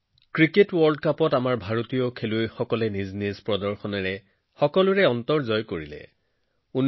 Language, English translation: Assamese, Indian players won everyone's heart with their performance in the Cricket World Cup